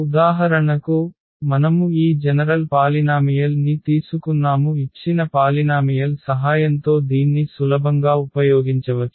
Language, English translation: Telugu, So, for instance we have taken this general polynomial and with the help of these given polynomials we can easily use this